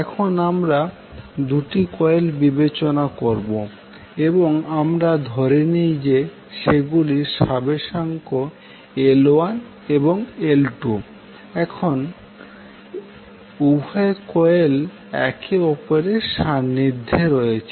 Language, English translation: Bengali, Now let us consider 2 coils and we assume that they have the self inductances L1 and L2 and both coils are placed in a close proximity with each other